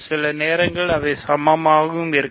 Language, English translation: Tamil, Sometimes they happen to be equal, ok